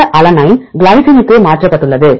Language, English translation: Tamil, This alanine is mutated to glycine